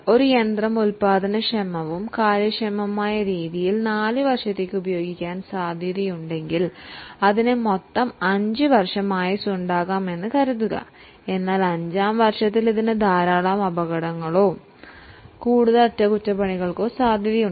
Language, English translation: Malayalam, So, suppose if a machine is likely to be used for four years, in a productive and an efficient manner, it may have a total life of five years, but in the fifth year it may face with lot of accidents or possibility of more repairs